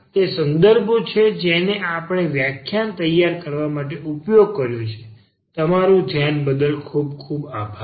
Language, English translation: Gujarati, These are the references used, and thank you for your attention